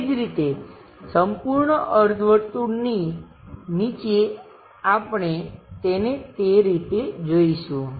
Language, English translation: Gujarati, Similarly, at bottom the entire semi circle we will see it in that way